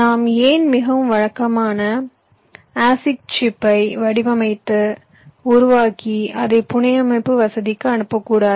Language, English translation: Tamil, why dont we design and develop a more conventional as a chip and send it to the fabrication facility